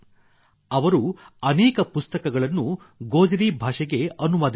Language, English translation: Kannada, He has translated many books into Gojri language